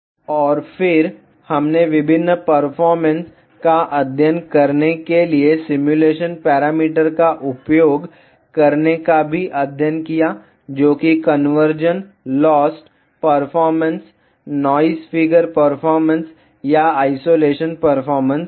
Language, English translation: Hindi, And then, we also studied how to use the simulation parameters to study various performances which is conversion lost performance, noise figure performance or isolation performance